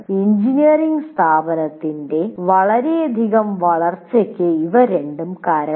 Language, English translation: Malayalam, And these two have resulted in a tremendous growth of engineering institutions